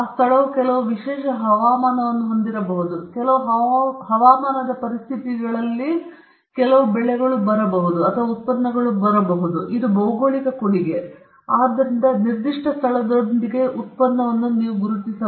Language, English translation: Kannada, That place may have certain special weather or it could have some climatic conditions which makes the product or contributes the geography contributes to the product, so you identify the product with a particular place